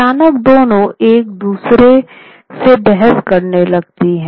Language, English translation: Hindi, Suddenly, the two started arguing with one another